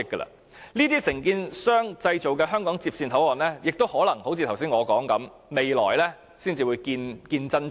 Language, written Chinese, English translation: Cantonese, 由這承建商所製造的香港接線口岸，正如我剛才所說，可能要到未來才會見真章。, The HKLR and the HKBCF built by this contractor like I said a while ago may reveal their real quality only in the future